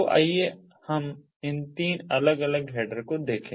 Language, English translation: Hindi, so let us look at these three different headers